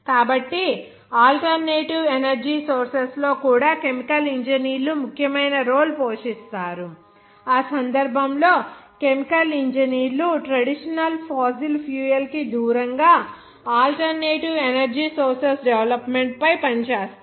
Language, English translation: Telugu, So chemical engineers play an important role in alternative energy sources also, in that case, chemical engineers work on the development of the alternate energy source away from the traditional fossil fuel